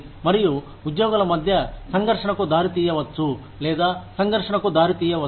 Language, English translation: Telugu, And, can result in conflict, or can lead to conflict, between employees